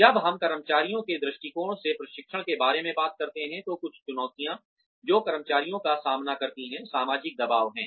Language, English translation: Hindi, When we talk about training, from the perspective of the employees, some challenges, that employees face are, social pressures